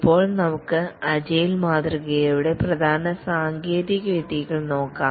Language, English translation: Malayalam, Let's look at more details of the agile model